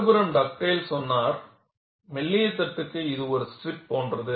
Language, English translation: Tamil, On the other hand, Dugdale came and said, for thin plates it is like a strip